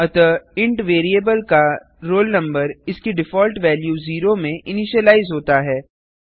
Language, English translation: Hindi, So, the int variable roll number has been initialized to its default value zero